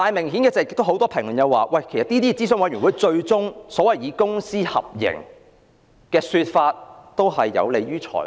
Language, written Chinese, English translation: Cantonese, 可是，正如很多人指出，諮詢委員會提出所謂公私合營的說法，最終也是有利於財團。, But just as many people have pointed out the so - called public - private partnership approach proposed by the Advisory Committee will eventually benefit the consortia